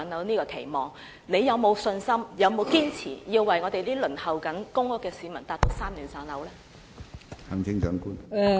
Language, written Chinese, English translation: Cantonese, 行政長官有沒有信心讓我們正在輪候公屋的市民在3年內"上樓"？, Does the Chief Executive have any confidence that people waiting for PRH units can receive housing allocation within three years?